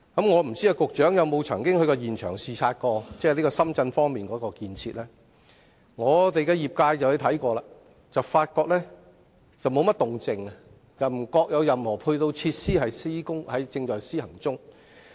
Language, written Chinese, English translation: Cantonese, "我不知道局長曾否到深圳現場視察當地的建設，但我所屬的航運交通界在視察後，卻發覺沒有甚麼動靜，亦未見有任何配套設施在施工。, I wonder if the Secretary has been to Shenzhen for site inspection of the construction works . According to the transport sector to which I belong they did not find during a site visit any activities going on and did not see the construction of ancillary facilities